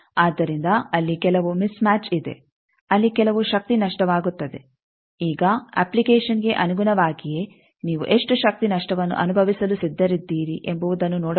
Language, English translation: Kannada, So, there will be some mismatch, there some power loss, there now depending on application you can that how much power loss you can you are ready to suffer